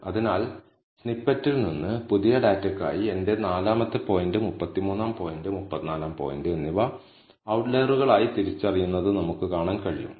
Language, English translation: Malayalam, So, from the snippet, we can see that for the new data, I have my 4th point, 33rd point and 34th point being, are being identified as outliers